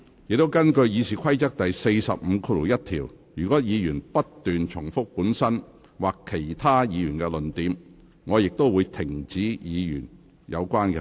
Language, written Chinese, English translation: Cantonese, 根據《議事規則》第451條，若議員不斷重提本身或其他議員的論點，我亦會指示有關議員停止發言。, Under RoP 451 if a member persists in repetition of his own or other Members arguments I will also direct him to stop